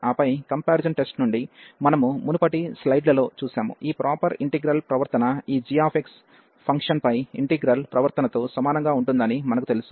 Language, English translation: Telugu, And then from the comparison test, we have just reviewed in previous slides, we know that the behavior of this integral this improper integral will be the same as the behavior of the integral over this g x function